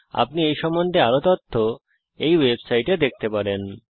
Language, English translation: Bengali, More information is available at this web site